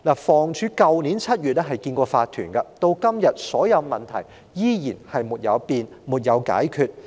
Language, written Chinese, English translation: Cantonese, 房屋署曾於去年7月接見業主立案法團，但至今所有問題依然沒有改變、沒有解決。, In July last year the Housing Department met with the owners corporation yet so far nothing has changed and all the problems remained unsolved